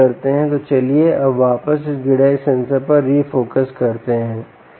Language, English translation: Hindi, so let us now refocus back on this grid eye sensor, ok, so